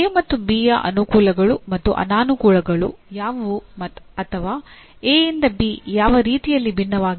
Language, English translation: Kannada, What are the advantages and disadvantages of A and B or in what way A differs from B